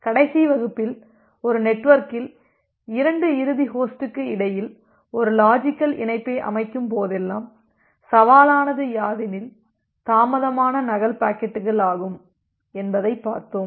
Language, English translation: Tamil, So, in the last class we have seen that well whenever you are setting up a logical connection between 2 end host of a network, the challenge is the delayed duplicate packets